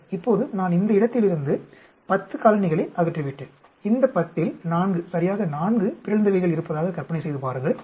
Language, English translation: Tamil, Ok now I have removed 10 colonies from this lot, and imagine there are 4, exactly 4 mutants out of this 10